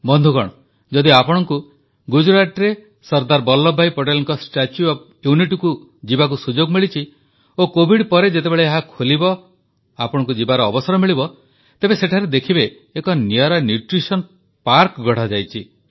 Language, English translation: Odia, Friends, if you have had the opportunity to visit the Statue of Unity of Sardar Vallabhbhai Patel in Gujarat, and when it opens after Covid Pandemic ends, you will have the opportunity to visit this spot